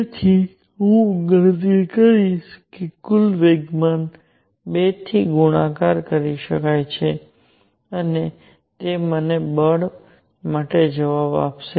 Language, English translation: Gujarati, So, I will calculate the total momentum coming in multiplied by 2 and that would give me the answer for the force